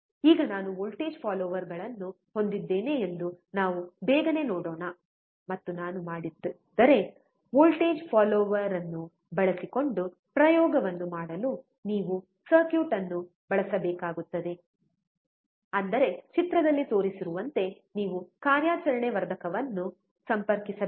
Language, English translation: Kannada, So now, let us quickly see if I have a voltage follower, and if I don’t, to do an experiment using a voltage follower, you have to just use the circuit; that means, you have to connect the operation amplifier as shown in the figure